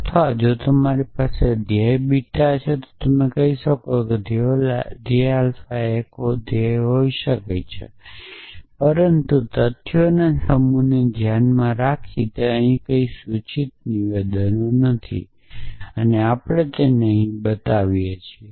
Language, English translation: Gujarati, Or if you have the goal beta you can say the goal alpha can be a goal, but they are no implication statements here given the set of facts and we are also show this here